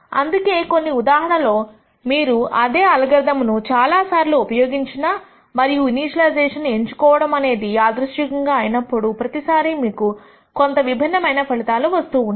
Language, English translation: Telugu, That is the reason why in some cases if you run the same algorithm many times and if the choice of the initialization is randomized, every time you might get slightly different results